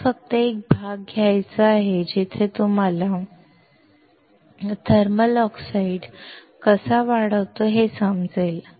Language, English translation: Marathi, I just wanted to take a part where you can understand how the thermal oxide is grown